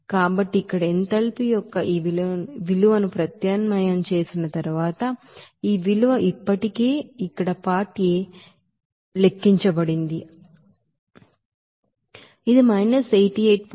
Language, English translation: Telugu, So after substitution of this value of here enthalpy this is you know simply what is that this value is already calculated here in part A